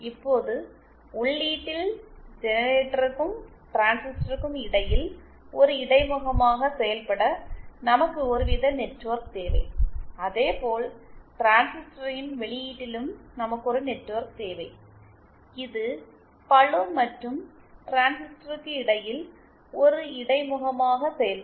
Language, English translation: Tamil, Now, at the input, therefore we need some kind of network to act as an interface between the generator and the transistor and similarly at the output of the transistor also, we need a network which will act as an interface between the load and the transistor